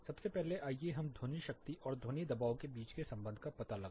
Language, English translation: Hindi, First let us take a look at how to find out the relation between sound power and sound pressure